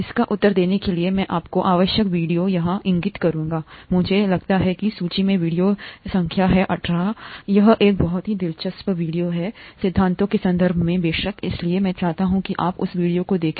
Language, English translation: Hindi, To answer this, I would point you out to required video here, I think the video in the list is number 18, it’s a very interesting video and important video in terms of the principles for the course, so I would require you to see that video